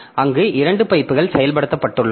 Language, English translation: Tamil, So we have have got two pipes implemented there